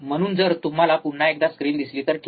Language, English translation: Marathi, So, if you see the screen once again, right